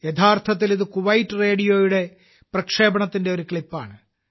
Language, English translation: Malayalam, Actually, this is a clip of a broadcast of Kuwait Radio